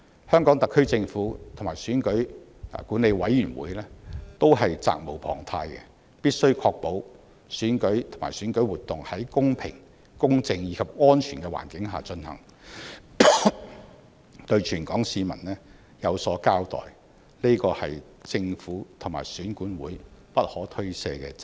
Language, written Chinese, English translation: Cantonese, 香港特區政府和選管會是責無旁貸，必須確保選舉及選舉活動在公平、公正及安全的環境下進行，對全港市民有所交代，這是政府和選管會不可推卸的責任。, The HKSAR Government and EAC are duty - bound to ensure that election and electoral activities would be conducted in a fair just and safe environment as they have to be accountable to the people . This is an unshirkable responsibility for the Government and EAC